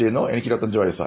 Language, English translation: Malayalam, I am 25 years old